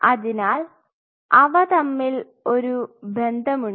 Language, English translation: Malayalam, So, they are linked